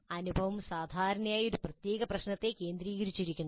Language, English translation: Malayalam, So the experience is usually framed and centered around a specific problem